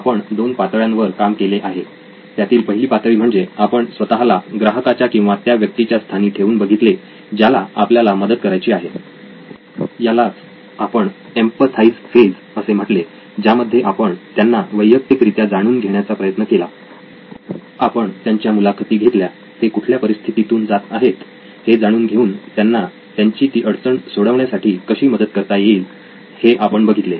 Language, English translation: Marathi, We have looked at two stages so far, first was we got into the shoes of the customer or the user who are you are trying to help that was the empathize, you got to know them personally, you got to interview them, you got to know what they were going through that you can help out with